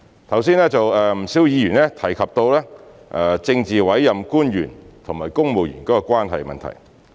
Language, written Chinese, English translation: Cantonese, 剛才有不少議員提及政治委任官員和公務員關係的問題。, A number of Members mentioned just now the relationship between officials under the political appointment system and the civil service